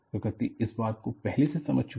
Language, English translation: Hindi, Nature has already understood this